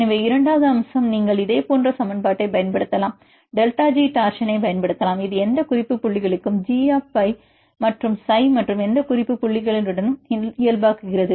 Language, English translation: Tamil, So, second aspect you can see the torsions you can use the say similarly you can use same equation delta G torsion, this is a g of phi and psi for any reference points and normalize with the any reference points